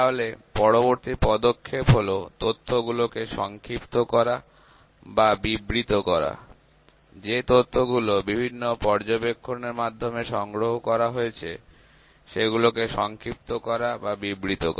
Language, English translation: Bengali, So, next step is to summarize or describe the data; to summarize and describe the data we have collected many observations